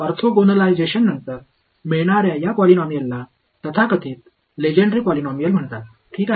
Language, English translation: Marathi, These polynomials that you get after orthogonalization are called so called Legendre polynomials ok